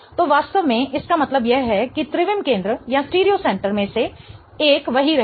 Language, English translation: Hindi, So, what really it means is that one of the stereo center will stay the same